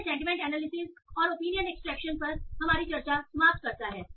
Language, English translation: Hindi, So that finishes our discussion on sentiment analysis and opinion extraction